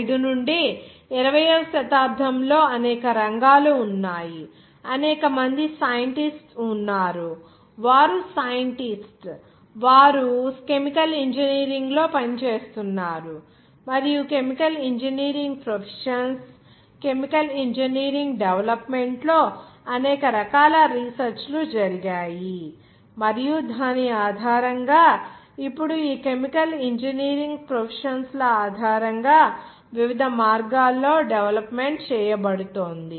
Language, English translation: Telugu, From 1945 onwards, that is in the 20th century there are several worlds, there are several scientists, they were scientist, they were working in chemical engineering, and their several types of research were done on the chemical engineering development of chemical engineering professions and based on this now it is being developed based on this chemical engineering processes in different ways